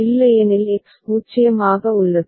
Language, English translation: Tamil, Otherwise X remains 0